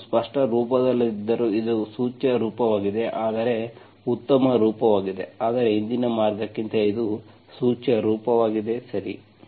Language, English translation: Kannada, Although I did not get in an explicit form, this is also an implicit form, whereas better form, but implicit form than earlier way, okay